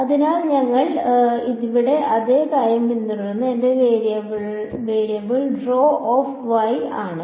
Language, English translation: Malayalam, So, we will follow the same thing over here my variable is rho of y